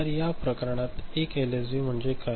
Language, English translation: Marathi, So, in this case the 1 LSB is equivalent to what